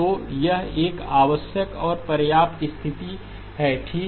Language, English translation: Hindi, So it is a necessary and sufficient condition okay